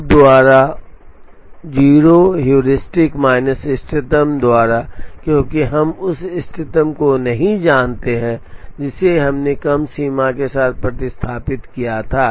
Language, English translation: Hindi, Actually this should be H minus O by O, heuristic minus optimum by optimum, since we do not know the optimum we substituted with a lower bound